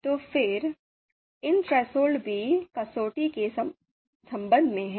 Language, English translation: Hindi, So again, these thresholds are also with respect to the criterion